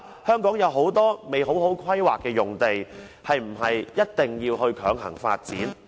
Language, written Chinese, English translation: Cantonese, 香港有很多用地未有完善的規劃，是否一定要強行發展。, There are many lands in Hong Kong that have no comprehensive planning . Is forcible development a must?